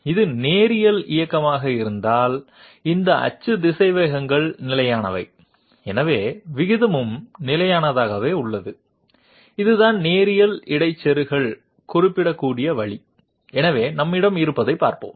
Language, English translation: Tamil, If it is linear motion, these axis velocities are constant therefore the ratio also remains constant, this is the way in which linear interpolator can be specified, so let us have a look what we have